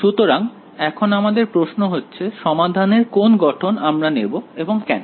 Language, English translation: Bengali, So, here comes the question of which form of the solution to take and why